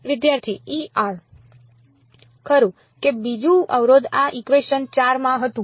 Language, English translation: Gujarati, Right so, the second constraint was in this equation 4